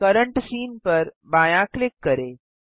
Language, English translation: Hindi, Left click current scene